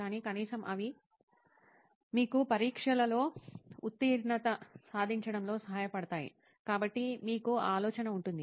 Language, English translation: Telugu, But at least they will help you pass the exams, so you can have that idea of that